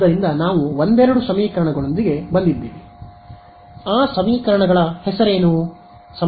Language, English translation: Kannada, So, we had come up with couple of equations what was the name of those equations